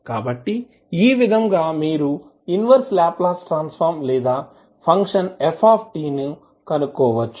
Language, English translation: Telugu, So, with this way, you can find out the inverse Laplace transform or function ft